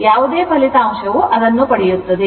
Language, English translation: Kannada, Whatever result you get that right